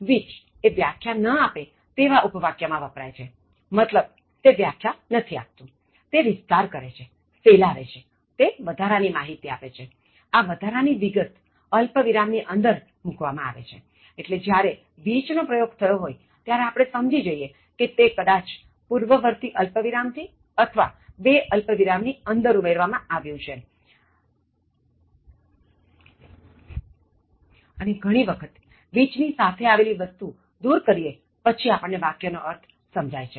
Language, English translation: Gujarati, Which is used in non defining clauses, that means, they don’t define, they elaborate, they expand, they give added information, where the extra information is put within commas, so you can understand normally when which comes, it’s either added by a preceding comma or put within two commas and you try to elaborate and very often when you remove the thing that comes with which, then also the sentence will make some sense